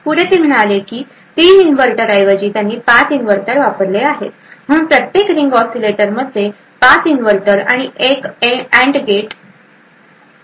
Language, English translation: Marathi, Further, they also said that instead of 3 inverters they had used 5 inverters, so one each ring oscillator had 5 inverters and an AND gate